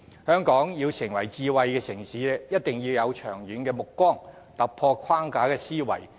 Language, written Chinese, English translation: Cantonese, 香港要成為智慧城市，便一定要有長遠目光，在思維上突破既有框架。, If we want to build Hong Kong into a smart city we should be far - sighted and think outside the box